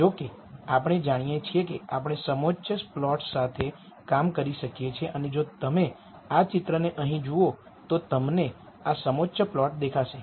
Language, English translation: Gujarati, However, we know that we can work with contour plots and if you look at this picture here, you see these contour plots